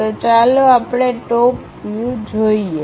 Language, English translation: Gujarati, So, let us look at top view